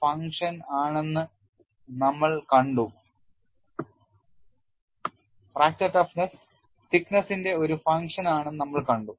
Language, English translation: Malayalam, And we have seen fracture toughness is a function of thickness